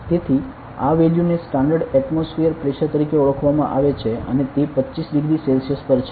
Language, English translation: Gujarati, So, this value of is called as standard atmospheric pressure and it is at 25 degree Celsius ok